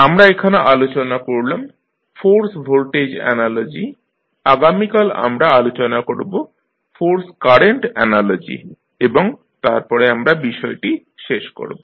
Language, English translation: Bengali, So, in this we discussed force voltage analogy, tomorrow we will discuss force current analogy and then we will wind up our course